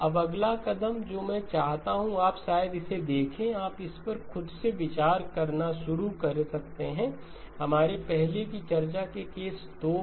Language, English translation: Hindi, Now the next step that I want you to look at maybe you can start to take a look at this by yourself, case 2 of our earlier discussion